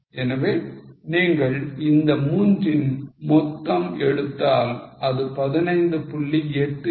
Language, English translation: Tamil, So, if you take total of these 3 it becomes 15